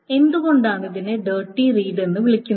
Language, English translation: Malayalam, This is also sometimes called the Dirty Read